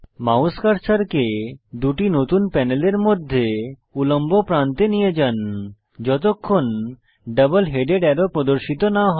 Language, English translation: Bengali, Move your mouse cursor to the horizontal edge between the two new panels till a double headed arrow appears